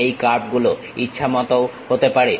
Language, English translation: Bengali, These curves can be arbitrary also